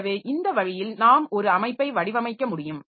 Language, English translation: Tamil, So, this way we can design a system